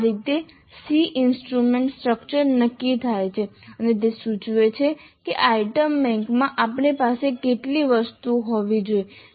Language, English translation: Gujarati, So, this is how the SE instrument structure is determined and that will indicate approximately how many items we should have in the item bank